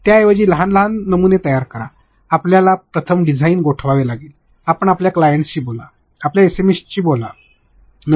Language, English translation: Marathi, Instead of that create small small prototypes because, you have to first freeze the design; you speak to your clients, speak to your SME’s